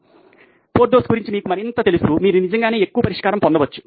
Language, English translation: Telugu, So, more you know about Porthos you can actually get more solution